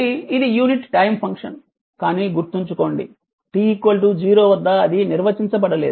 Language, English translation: Telugu, So, this is your unit time function, but remember at t is equal to 0 it is undefined right